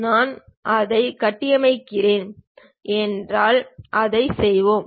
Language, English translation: Tamil, If we are doing it construct, let us do that